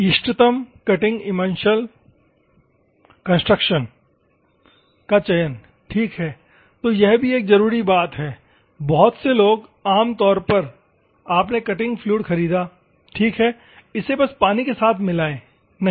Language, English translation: Hindi, The selection of optimum cutting emulsion concentration ok; so, these also one of the thing; many people, normally you bought it ok I bought in the cutting fluid, just mix with water, no